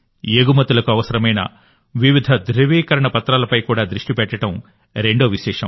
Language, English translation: Telugu, The second feature is that they are also focusing on various certifications required for exports